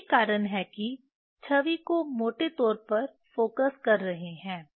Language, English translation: Hindi, That is why focusing the image roughly